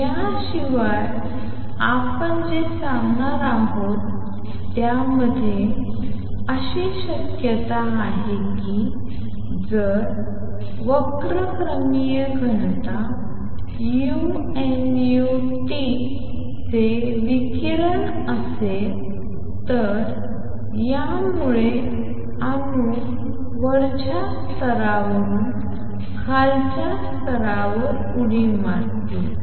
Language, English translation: Marathi, What we are also going to say in addition there is a possibility that if there is a radiation of spectral density u nu T this will also make atoms jump from upper level to lower level